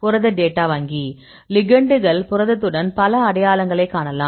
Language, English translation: Tamil, Protein Data Bank; you can see several identities with the protein with ligands